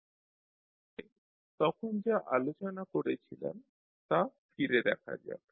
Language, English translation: Bengali, So, let us recap what we discussed at that time